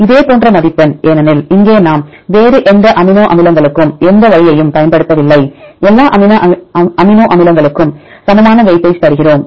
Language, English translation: Tamil, Similar score because here we do not use any way to any different amino acids, we give equal weightage to all amino acids